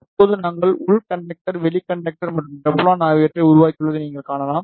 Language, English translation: Tamil, Now, you can see we have created inner conductor, outer conductor and the Teflon